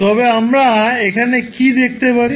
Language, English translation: Bengali, So what we can see here